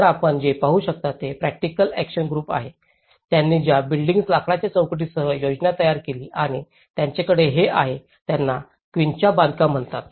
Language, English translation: Marathi, So, what you can see is from the practical action groups, the model they developed the plan with the timber posts in between and they have this is called quincha construction